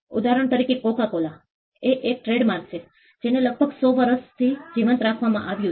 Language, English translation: Gujarati, For instance, Coca Cola is a trademark which has been kept alive for close to 100 years